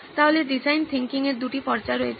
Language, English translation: Bengali, So there are two phases in design thinking